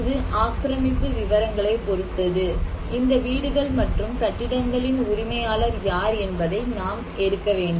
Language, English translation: Tamil, So and also it depends on the occupancy details, we have to take like the population density, who are the owner of these houses and buildings